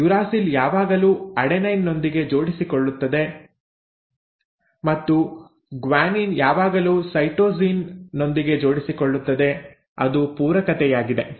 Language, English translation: Kannada, The uracil will always pair with an adenine and guanine will always pair with a cytosine; that is the complementarity